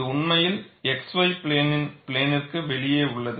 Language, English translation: Tamil, It is really out of plane of the x y plane